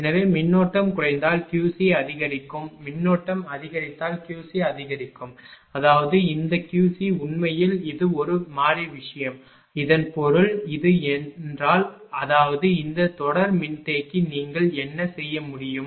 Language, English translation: Tamil, So, if the current ah decreases then Q c will decrease if current increases Q c will increase; that means, this Q c actually it is a variable thing so; that means, if ah this this; that means, this series capacitor what you can do is